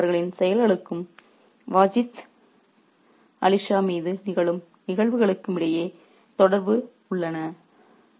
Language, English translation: Tamil, So, there are connections between their actions and the events that before that we fall on Vajid Ali Shah